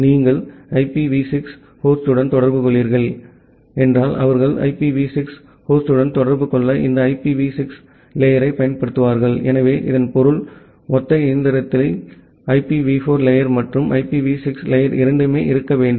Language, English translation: Tamil, If you are communicating with the IPv6 host, they would then you use this IPv6 stack to communicate with the IPv6 host; so, that means, the single machine should have both the IPv4 stack as well as the IPv6 stack